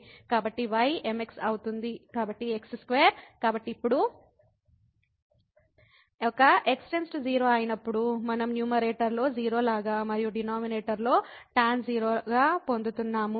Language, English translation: Telugu, So, is , so square, so now, when a goes to 0 we are getting like a 0 in the numerator and also tan in the denominator